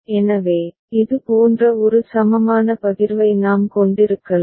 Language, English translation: Tamil, So, we can have an equivalent partition like this